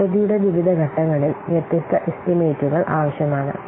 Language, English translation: Malayalam, So, during different phases of the project, different estimates are required